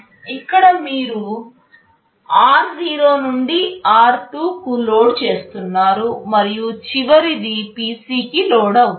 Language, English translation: Telugu, Here you are loading r0 to r2, and the last one will be loaded to PC